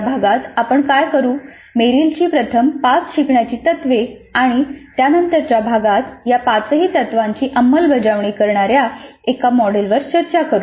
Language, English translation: Marathi, What we will do in this unit is present merills the five first principles of learning and then discuss one model that implements all these five principles in the next unit